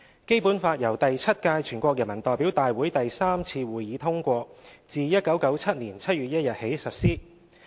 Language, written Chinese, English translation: Cantonese, 《基本法》由第七屆全國人民代表大會第三次會議通過，自1997年7月1日起實施。, The Basic Law was adopted at the Third Session of the Seventh NPC and has been put into effect since 1 July 1997